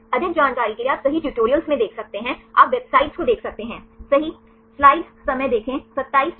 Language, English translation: Hindi, For more information you can look into the tutorials right you can see the websites right